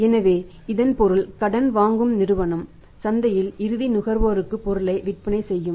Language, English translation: Tamil, So, it means that companies the borrowing company is also selling the product for the in the market may be to the final consumer